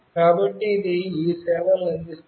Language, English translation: Telugu, So, it provides all these services